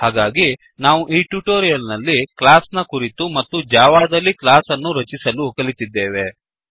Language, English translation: Kannada, So, in this tutorial, we learnt about the class in java and how to create a class in java